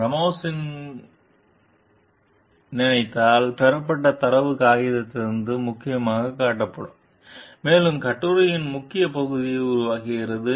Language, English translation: Tamil, The data obtained by Ramos s company are displayed prominently in the paper, and make up a major portion of the article